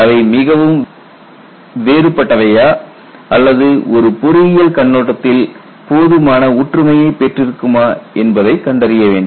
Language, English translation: Tamil, Are they far different or close enough from an engineering perspective point of view